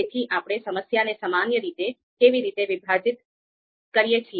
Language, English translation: Gujarati, So how do we how do we typically breakdown the problem